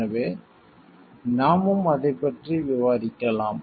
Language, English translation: Tamil, So, we can discuss it that way also